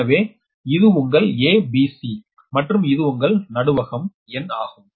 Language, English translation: Tamil, so this is your a, b, c, this is neutral n, this is n